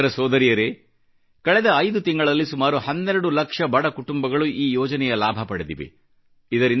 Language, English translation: Kannada, Brothers and Sisters, about 12 lakhimpoverished families have benefitted from this scheme over a period of last five months